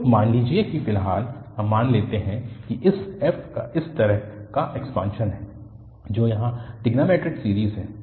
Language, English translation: Hindi, So, suppose at the moment we just suppose that this f has such kind of expansion which is trigonometric series here